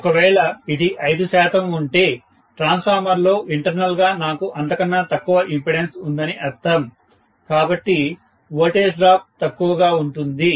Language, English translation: Telugu, If it is 5 percent, that means I have even lesser amount of impedance internally within the transformer, so the voltage drop becomes less and less